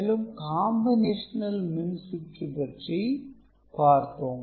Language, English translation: Tamil, And, we were discussing combinatorial circuit